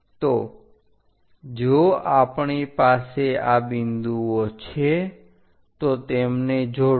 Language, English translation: Gujarati, So, if these points we are going to join in that way it goes